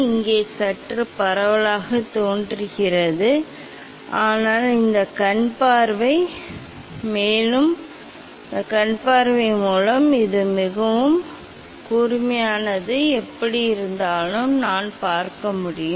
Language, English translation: Tamil, Here look slightly diffuse, but through this eyepiece I can see this is very sharp, anyway